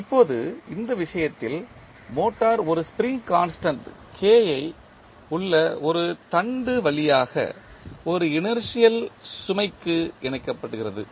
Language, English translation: Tamil, Now, in this case the motor is coupled to an inertial load through a shaft with a spring constant K